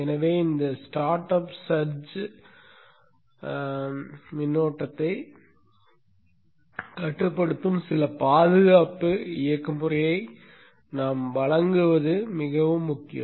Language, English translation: Tamil, Therefore it is very very important that we provide some protection mechanism which will limit this startup search current